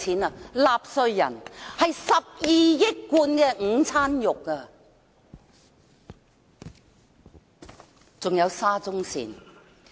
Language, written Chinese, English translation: Cantonese, 由納稅人支付，這12億罐午餐肉的價錢。, Taxpayers are to shoulder the sum which amounts to 1.2 billion cans of luncheon meat